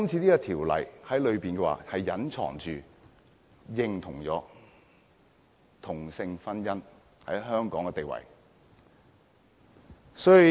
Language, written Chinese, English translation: Cantonese, 這項《條例草案》隱蔽地認同同性婚姻在香港的地位。, The Bill recognizes the status of same - sex marriage in Hong Kong in a covert manner